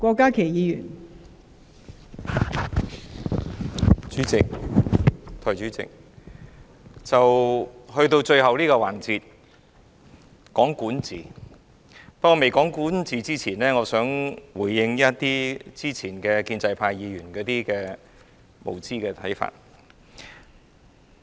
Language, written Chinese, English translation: Cantonese, 代理主席，到了最後這個環節，在未開始談論管治之前，我想回應建制派議員先前提出的無知看法。, Deputy President in this final session before I talk about governance let me first respond to the ignorant views raised previously by the Members of the establishment camp